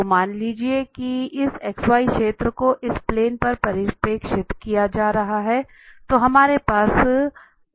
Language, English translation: Hindi, So, suppose this surface is being projected on this x y plane, then we have this R here on the x y plane